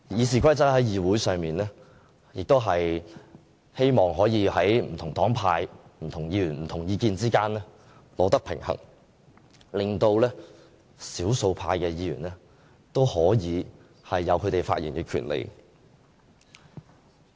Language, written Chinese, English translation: Cantonese, 訂定這些規則是希望在議會上不同黨派、不同議員、不同意見之間取得平衡，令少數派議員都可以有發言權利。, The formulation of this set of rules aims to strike a proper balance among the different political parties Members and views in the Council in order to safeguard minority Members right to free expression